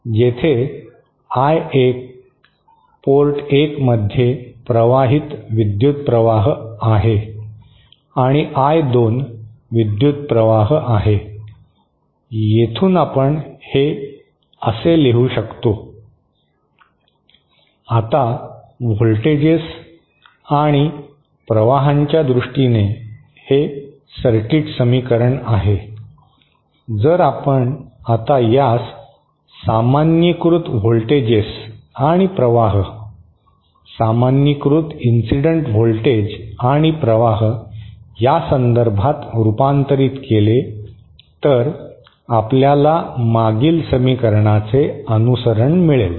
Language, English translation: Marathi, Where I1 is the current flowing into port 1 and I2 is the current flowing toÉ From here we can write this as, Now this is the circuit equation in terms of voltages and currents, if we now convert this in terms of normalised voltages and currents, normalised incident voltages and currents, what we get is following from the previous equation